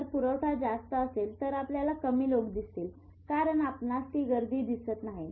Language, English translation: Marathi, If the supply is more, you will always see there are less number of people because you are not seeing them